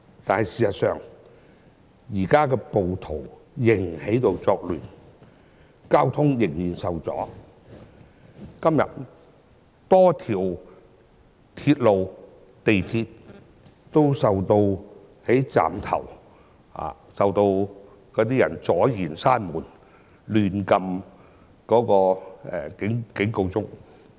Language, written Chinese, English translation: Cantonese, 然而事實上，暴徒現時仍在作亂，交通仍然受阻，今天在多個港鐵站，仍有人阻礙列車關門，以及胡亂按動緊急掣。, However as a matter fact rioters are still creating chaos and there are still traffic disruptions today with cases at many MTR stations involving train doors being prevented from closing and reckless pressing of emergency buttons